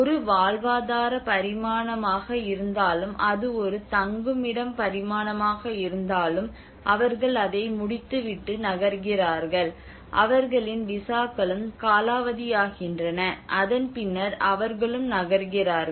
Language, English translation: Tamil, Whether it is a livelihood dimension, whether it is a shelter dimension, they finish that, and they move on, their visas are also expire, and they move on